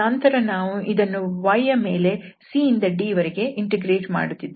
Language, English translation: Kannada, So again the similar situation so, we will integrate now with respect to y from c to d